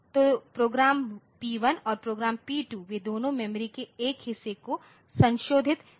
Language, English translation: Hindi, So, program P1 and program P2 both of them want to modify a portion of the memory